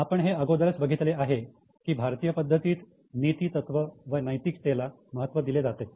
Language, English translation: Marathi, We have also already seen how in Indian system we emphasize on ethics and moral